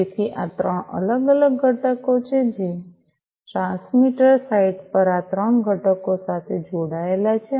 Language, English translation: Gujarati, So, these are the three different components that are connected at the transmitter site these three components